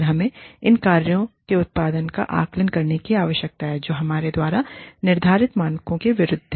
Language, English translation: Hindi, And, we need to assess the output, of these functions, against the standards, that we have set